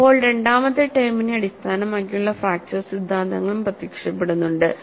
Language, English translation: Malayalam, So, fracture theories based on second term also are appearing